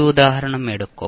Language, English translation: Malayalam, We will take this example